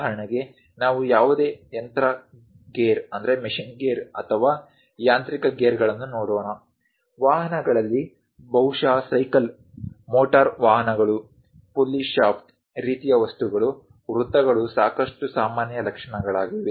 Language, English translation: Kannada, For example, let us look at any machine gear or mechanical gears; in automobiles, perhaps for cycle, motor vehicles, even pulley shaft kind of things, the circles are quite common features